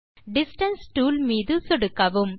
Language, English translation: Tamil, Click on Distance tool